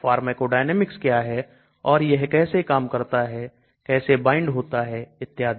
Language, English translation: Hindi, what is the pharmacodynamics and how it acts how does it bind to and so on actually